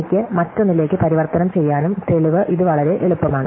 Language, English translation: Malayalam, So, I can convert one to the other and the proof of this very easy